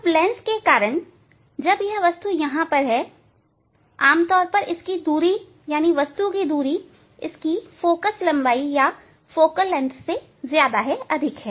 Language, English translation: Hindi, Now, due to the lens, when this object is here object is generally is the its distance object distance is greater than focal length of this one